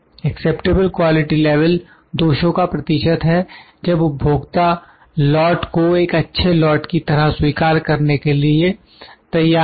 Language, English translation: Hindi, Acceptable quality level is the percentage of defects at which consumer are willing to accept the lots as good